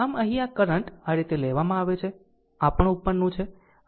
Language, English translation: Gujarati, So, here this current is taken like this; this is also upward